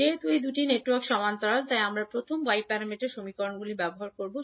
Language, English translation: Bengali, Since these 2 networks are in parallel, we will utilise first Y parameter equations